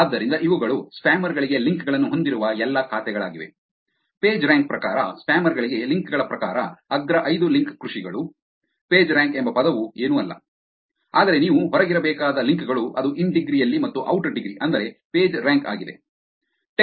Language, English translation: Kannada, So, these are all the accounts which had the links to spammers; top five link farmers according to the links to spammers according to the Pagerank; the word Pagerank is nothing, but the links that you have to be out which is the in degree and the out degree that is what is PageRank is